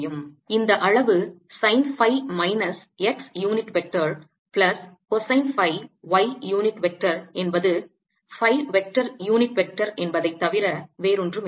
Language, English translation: Tamil, i can take common and this quantity sine phi minus x unit vector, plus cosine phi y unit vector, is nothing but phi vector, unit vector, because this is for r greater than or equal to r